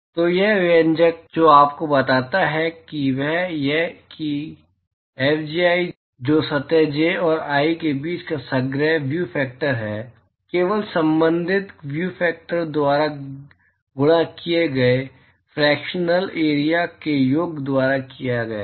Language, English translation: Hindi, So, what this expression tells you is that, Fji which is the overall view factor between surface j and i is simply given by sum over the fractional area multiplied by the corresponding view factor